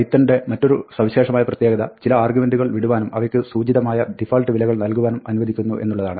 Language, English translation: Malayalam, Another nice feature of python is that, it allows some arguments to be left out and implicitly have default values